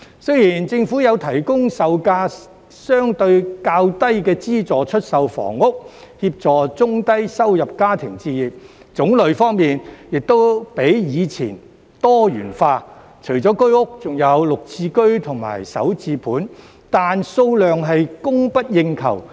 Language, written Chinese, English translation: Cantonese, 雖然政府有提供售價較低的資助出售房屋，協助中低收入家庭置業，種類方面亦較以前多元化，除了居屋，還有綠置居及首置盤，但數量供不應求。, Although the Government has provided subsidized housing for sale at lower prices to help low - and middle - income families buy their own homes and the types of housing available are more diversified than before including Home Ownership Scheme flats and Green Form Subsidised Home Ownership Scheme flats and starter homes the number of flats available is insufficient to meet the demand